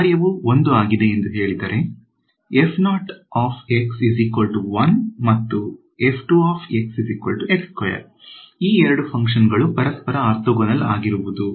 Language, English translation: Kannada, We say that these two functions are orthogonal to each other right